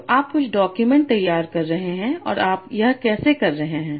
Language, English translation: Hindi, So you are generating some documents and how are you doing that